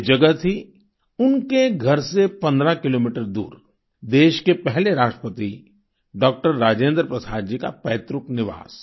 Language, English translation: Hindi, The place was 15 kilometers away from her home it was the ancestral residence of the country's first President Dr Rajendra Prasad ji